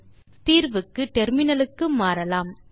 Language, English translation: Tamil, Now, Switch to the terminal for solution